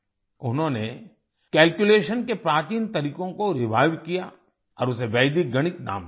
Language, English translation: Hindi, He revived the ancient methods of calculation and named it Vedic Mathematics